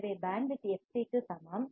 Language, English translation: Tamil, So, bandwidth is equal to fc